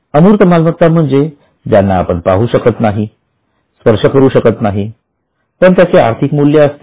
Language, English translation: Marathi, Intangible, we can't see or we can't at such touch it, but they have a value